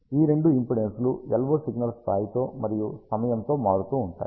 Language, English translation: Telugu, Both these impedances vary with the LO signal level and with time